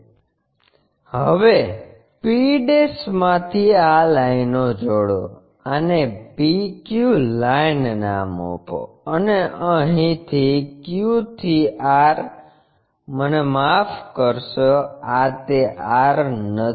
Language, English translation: Gujarati, So, now join these lines from p' join this one, rename this one as PQ line; and from here Q to R I am sorry, this is not this is R